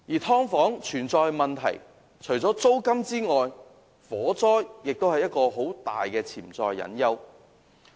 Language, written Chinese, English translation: Cantonese, 租金問題以外，火災對"劏房"來說是一個很大的潛在隱憂。, Apart from the rental problem fire safety is another hidden concern for residents of subdivided units